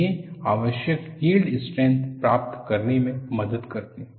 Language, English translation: Hindi, They help to achieve the required yield strength